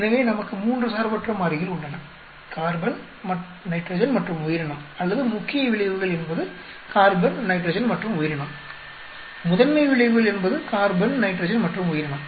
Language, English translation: Tamil, So, we have three independent variables carbon nitrogen and organism or main effects are carbon nitrogen and organism principle effects carbon nitrogen and organism